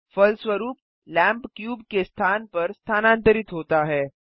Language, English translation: Hindi, As a result, the lamp moves to the location of the cube